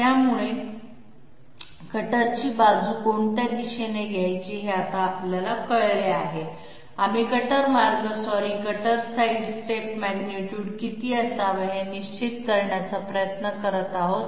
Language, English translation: Marathi, So after having established this one that is we now know the direction in which the cutter sidestep has to be taken, we are trying to establish the magnitude how much should be the cutter path sorry cutter sidestep magnitude